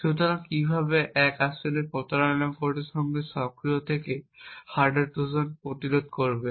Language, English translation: Bengali, So how would one actually prevent hardware Trojans from the activated with cheat codes